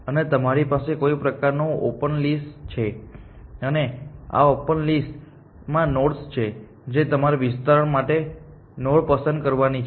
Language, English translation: Gujarati, And you have some kind of a open list, and there are nodes on this open list which you have to pick a node from for expansion